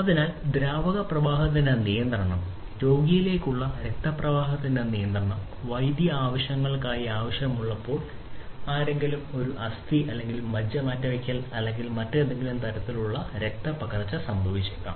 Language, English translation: Malayalam, So, control of the fluid flow, control of blood flow into a patient, when required for medical purposes may be somebody having a bone marrow transplant or some kind of you know blood transfusion is taking place